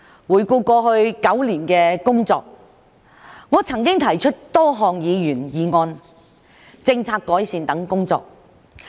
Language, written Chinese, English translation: Cantonese, 回顧過去9年的工作，我曾經提出多項議員議案、政策改善等工作。, Looking back on the past nine years of work I have proposed many Members motions policy improvement proposals etc